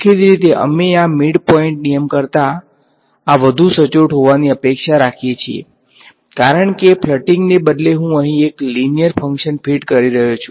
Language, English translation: Gujarati, Obviously, we expect this to be more accurate than the midpoint rule ok, because instead of a flatting I am fitting a linear function over here ok